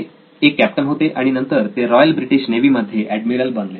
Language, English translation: Marathi, So he was a captain and later became an admiral with the Royal British Navy